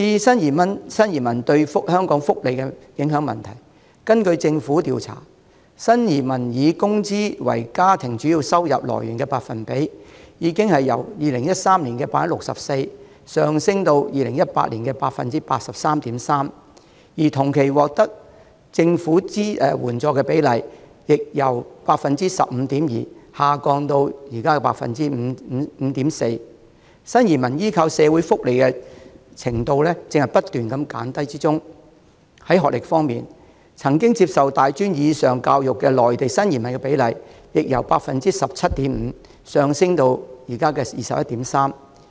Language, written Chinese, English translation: Cantonese, 至於新移民對香港福利的影響，根據政府調查，新移民以工資為家庭主要收入來源的百分比，已由2013年的 64% 上升至2018年的 83.3%， 而同期獲得政府援助的比例，則由 15.2% 下降至現時的 5.4%， 新移民對社會福利的依靠正在不斷減低；在學歷方面，曾接受大專或以上教育的內地新移民的比例亦由 17.5% 上升至現時的 21.3%。, As for the impact brought about by new arrivals on Hong Kongs social welfare a government survey shows that the percentage of new arrival families who rely on salaries as their primary source of income has risen from 64 % in 2013 to 83.3 % in 2018 . Meanwhile the percentage of these families receiving government subsidies has fallen from 15.2 % to 5.4 % during the same period showing a consistent decline in new arrivals reliance on social welfare . In terms of education the percentage of new arrivals from Mainland China who have received tertiary education or above has risen from 17.5 % to 21.3 % at present